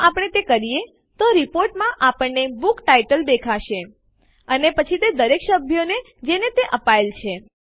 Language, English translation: Gujarati, If we do that, then in the report we will see a book title and then all the members that it was issued to